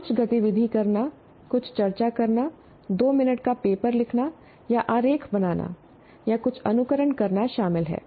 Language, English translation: Hindi, Doing some activity, doing some discussion, writing a two minute paper, or drawing a diagram, or simulating something